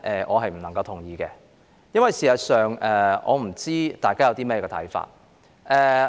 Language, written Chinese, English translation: Cantonese, 我不同意這項議案。事實上，我不知道大家有何看法。, I do not agree with this motion and I do not actually know what Members think about it